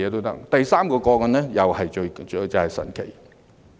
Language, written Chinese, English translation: Cantonese, 第三宗個案，又是相當神奇的。, The third case is again quite intriguing